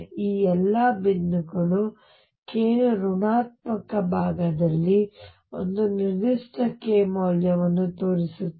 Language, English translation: Kannada, All these points show one particular k value on the negative side of k also